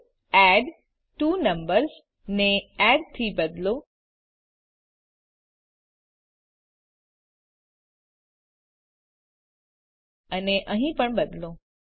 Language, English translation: Gujarati, So replace addTwoNumbers with add also change here